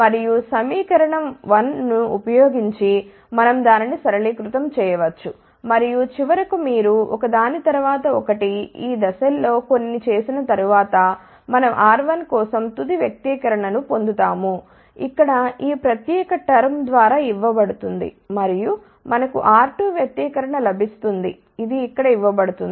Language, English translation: Telugu, And using equation 1 we can simplify it and finally, after doing a few of these steps which you can follow through 1 by 1 we get a final expression for R 1, which is given by this particular term over here and we get expression for R 2 which is given over here